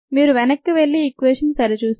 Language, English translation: Telugu, you can go back and check that equation